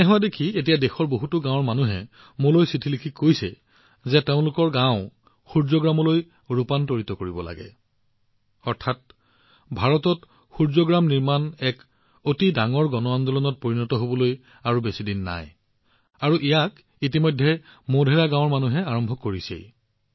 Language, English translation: Assamese, Seeing this happen, now people of many villages of the country are writing letters to me stating that their village should also be converted into Surya Gram, that is, the day is not far when the construction of Suryagrams in India will become a big mass movement and the people of Modhera village have already begun that